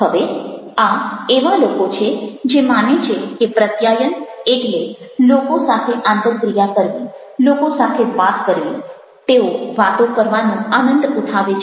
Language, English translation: Gujarati, now, these are the people who believe that communication means interacting with people, talking with people